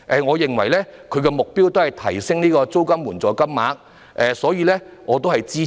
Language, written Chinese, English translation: Cantonese, 我認為他們的目的是提升租金津貼金額，因此我會支持。, I understand that their aim is to increase the amounts of rent allowance and thus will support them